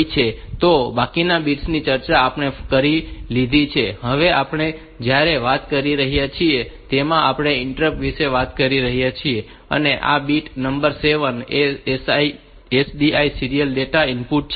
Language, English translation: Gujarati, So, rest of the bits we have discussed while talking about this we talking about the interrupts and this bit number 7 is the SDI serial data input